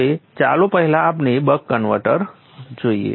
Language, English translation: Gujarati, Now first let us look at the buck converter